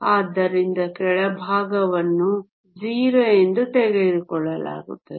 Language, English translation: Kannada, So, the bottom is taken as 0